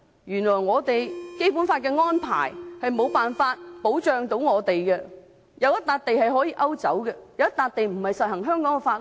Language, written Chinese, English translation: Cantonese, 原來《基本法》的安排無法保障我們，原來有一塊地可以勾走，有一塊地並非實施香港的法律。, Surprisingly the arrangements in the Basic Law cannot protect us against it; for a piece of land will be taken away from us and on that piece of land the laws of Hong Kong will not be applicable